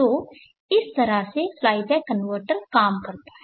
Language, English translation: Hindi, So that is how the fly back converter works